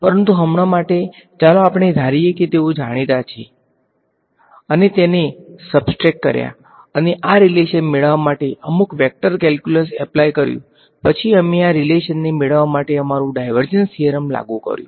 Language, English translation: Gujarati, But for now let us assume that they are known, we subtracted them and applied some vector calculus to get this relation after which we applied our divergence theorem to get this relation right